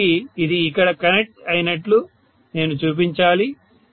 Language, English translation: Telugu, So I should show it as though this is connected here, okay